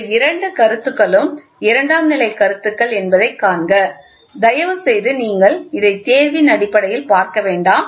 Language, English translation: Tamil, See these two points are secondary points, please do not try to take this in the examination point of view